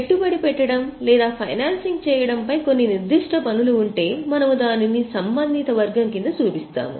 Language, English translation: Telugu, If there are some specific taxes on investing or financing related items, we will show it under the respective head